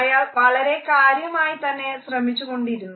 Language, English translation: Malayalam, And he is trying very hard